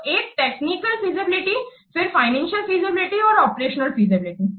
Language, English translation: Hindi, So, one is this technical feasibility, then financial feasibility and operational feasibility